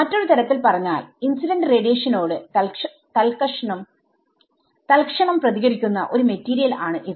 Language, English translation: Malayalam, So, in other words, this is a material that reacts instantaneously to the incident radiation because the response is